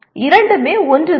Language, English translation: Tamil, Both mean the same